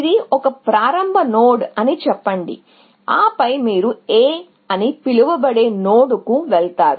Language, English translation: Telugu, So, let us say, this is a start node and then, you go to some node called A